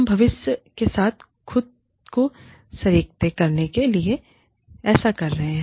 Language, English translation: Hindi, We are doing this, to align ourselves, with the vision for the future